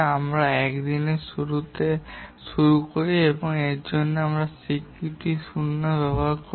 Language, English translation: Bengali, We start at the beginning of day 1 and for that we'll use the notation day zero